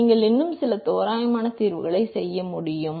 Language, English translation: Tamil, You will still be able to make some approximate solutions